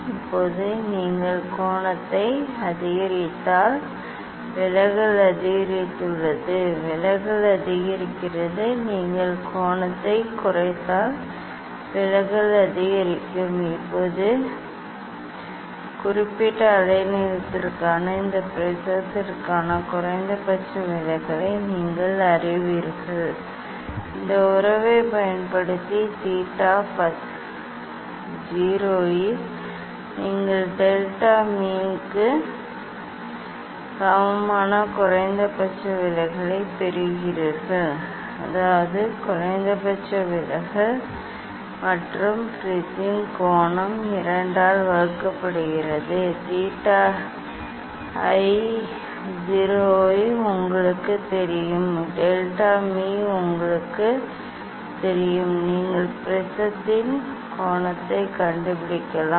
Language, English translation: Tamil, Now, if you increase the angle; deviation is increased deviation is increased, if you decrease the angle also deviation increase Now so now, you know the minimum deviation for this prism for particular wavelength And the using this relation; using this relation that theta i 0 at which you are getting the minimum deviation that is equal to delta m, means minimum deviation plus angle of prism divided by 2 you know the theta i 0 and you know the delta m; you can find out the angle of prism